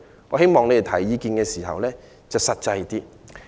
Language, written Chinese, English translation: Cantonese, 我希望他們提出意見時要實際一點。, I hope they can be more practical when putting forth suggestions